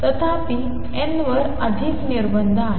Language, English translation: Marathi, However, there are more restrictions on n